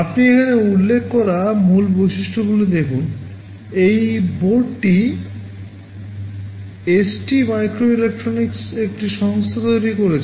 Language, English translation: Bengali, You see the main features that are mentioned here: this board is manufactured by a company ST microelectronics